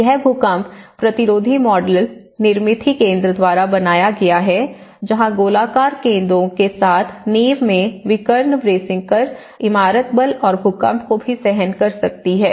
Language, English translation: Hindi, So, this is the earthquake resistant model built by Nirmithi Kendra as I said to you the diagonal bracing in the foundation with these circular balls where the building can bear the forces, the earthquake forces as well